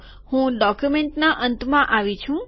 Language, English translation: Gujarati, I have come to the end of the document